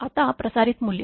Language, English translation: Marathi, Now, transmitted value